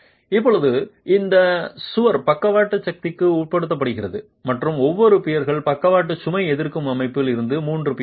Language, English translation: Tamil, Now this wall is subjected to lateral force and each of the peers are the three pairs form the lateral load resisting system of the wall itself